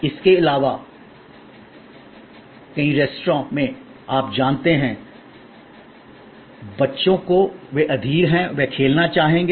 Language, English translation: Hindi, Besides that, in many restaurants there are you know children, they are impatient, they would like to play